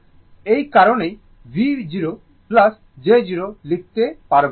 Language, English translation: Bengali, That is why, you can write V plus j 0